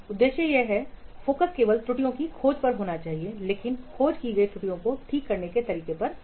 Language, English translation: Hindi, The objective is the focus is only on discovering the errors but not on how to fix the discover errors